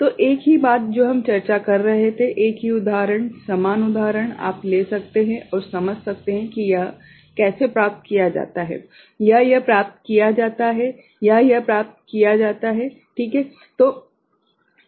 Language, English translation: Hindi, So, same thing what we were discussing, the same example, similar example you can take up and understand how this is achieved or this is achieved right or this is achieved right